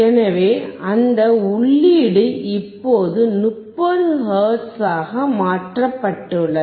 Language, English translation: Tamil, So, that input is now changed to 30 hertz